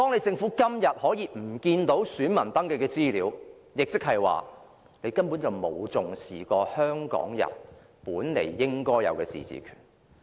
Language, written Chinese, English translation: Cantonese, 政府現在遺失了選民登記的資料，亦即是說根本沒有重視過香港人本來應有的自治權。, The Government has lost the information of all registered electors and this shows that it has never attached any importance to Hong Kong peoples legitimate right of autonomy